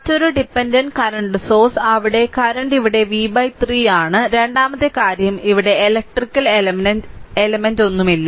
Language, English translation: Malayalam, Another dependent current source is there the current is here v v by 3 right and second thing is at there is no electrical element here and nothing